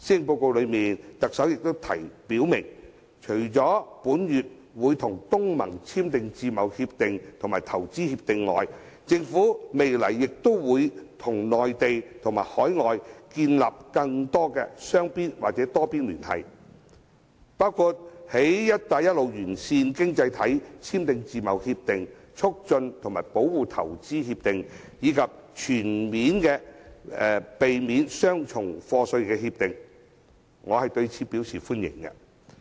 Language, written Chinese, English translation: Cantonese, 特首在施政報告中表明，除會在本月與東盟簽訂自由貿易協定與促進和保護投資協定外，政府未來亦會與內地和海外建立更多雙邊或多邊聯繫，包括與"一帶一路"沿線經濟體簽訂自貿協定及投資協定，以及避免雙重課稅協定，我對此表示歡迎。, The Chief Executive states in the Policy Address that other than signing free trade agreements FTAs and investment promotion and protection agreements IPPAs with ASEAN countries this month the Government will establish more bilateral and multilateral ties with the Mainland and overseas countries . It will also sign FTAs IPPAs and comprehensive avoidance of double taxation agreements with various economies along the Belt and Road . I welcome these initiatives